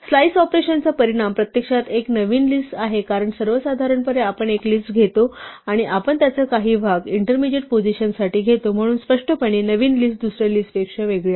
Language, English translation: Marathi, The outcome of a slice operation is actually a new list, because in general, we take a list and we will take a part of it for some intermediate position to some other intermediate position, so obviously, the new list is different from the old list